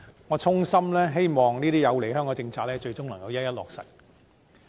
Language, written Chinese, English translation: Cantonese, 我衷心希望這些有利香港的政策，最終能夠一一落實。, I sincerely hope that all policies that benefit Hong Kong will ultimately be implemented